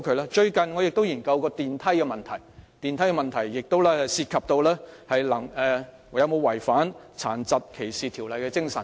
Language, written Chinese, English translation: Cantonese, 我最近研究了升降機的問題，亦關乎有否違反《殘疾歧視條例》的精神。, I have recently looked into the issue of elevators which is also related to whether there is violation of the spirit of the Disability Discrimination Ordinance